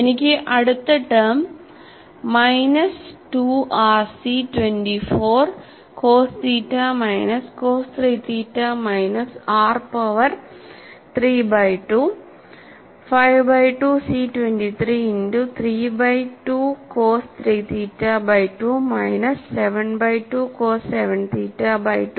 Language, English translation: Malayalam, And I have this next term as minus 2 r C 24 cos theta minus cos 3 theta minus r power 3 by 25 by 2 C 23 multiplied by 3 by 2 cos 3 theta by 2 minus 7 by 2 cos 7 theta by 2